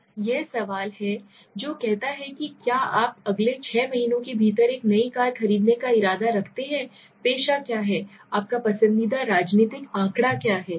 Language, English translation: Hindi, Now this is the question which says do you intend to buy a new car within the next six months, what is the profession, what is your favorite political figure